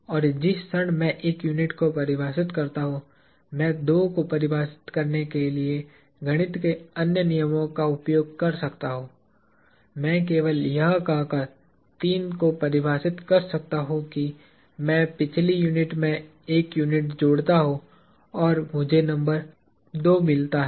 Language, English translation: Hindi, And, the moment I define 1 unit, I can use other rules of mathematics to define a 2; I can define a 3 by simply saying that, I add one unit to the previous unit and I get at the number 2